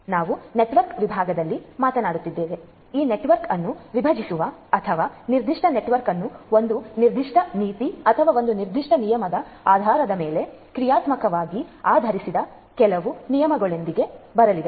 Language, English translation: Kannada, So, we are talking about in network segmentation having you know let us say that coming up with certain rule which will partition this network or segment this particular network into 2 dynamically based on a certain policy or a certain rule